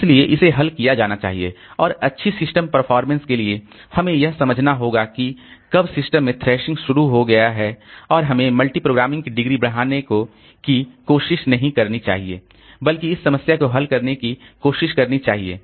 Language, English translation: Hindi, So, this thrashing has to be solved and for the good system performance so we have to understand that the thrashing has got initiated into the system and we should not try to increase the degree of multi programming rather try to solve this thrashing problem